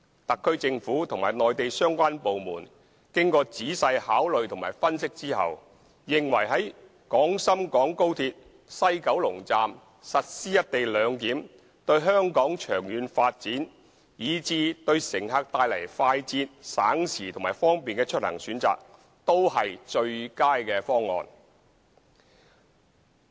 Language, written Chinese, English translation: Cantonese, 特區政府和內地相關部門經仔細考慮和分析後，認為在廣深港高鐵西九龍站實施"一地兩檢"，對香港長遠發展，以至對乘客帶來快捷、省時和方便的出行選擇都是最佳方案。, After thorough consideration and analysis the SAR Government and the relevant Mainland departments consider that the implementation of the co - location arrangement at the West Kowloon Station of XRL is the best proposal one which can foster Hong Kongs long - term development and offer passengers a speedy time - saving and convenient transport option